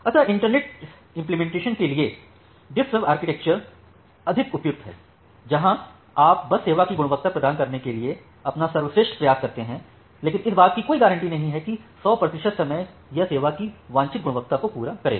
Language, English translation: Hindi, So, for internet scale implementation, DiffServ architecture is more suitable where you just try your best to provide the quality of service, but there is no guarantee that 100 percent of the time it will met the desired quality of service